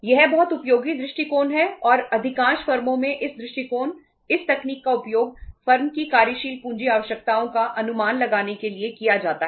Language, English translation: Hindi, This is the very very useful approach and say in most of the firms uh this uh approach, this technique is used to estimate the working capital requirements of the firm